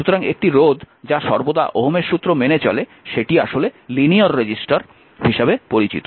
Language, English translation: Bengali, So, a is a resistor that always that obey is Ohm’s law is known as a linear resistor